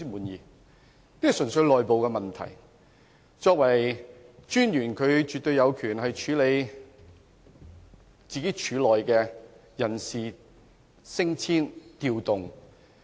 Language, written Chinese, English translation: Cantonese, 有關的人事變動純粹是內部問題，廉政專員絕對有權處理廉署的人事升遷或調動。, The personnel reshuffle concerned is simply an internal issue and the ICAC Commissioner certainly has the right to handle staff promotion or deployment within ICAC